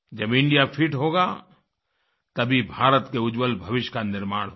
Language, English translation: Hindi, When India will be fit, only then India's future will be bright